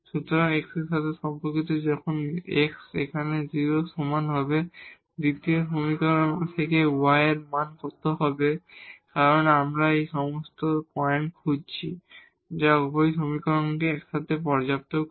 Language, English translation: Bengali, So, corresponding to this when x is equal to 0 here what will be the value of y from the second equation because we are looking for all the points which satisfy both the equations together